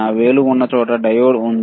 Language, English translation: Telugu, Where my finger is there diode is there